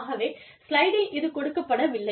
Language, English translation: Tamil, So, it is not on the slide